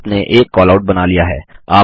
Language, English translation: Hindi, You have drawn a Callout